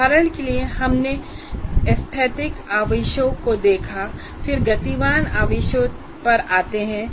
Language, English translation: Hindi, For example, having done this, then we say, we looked at the static charges and then I come to moving charges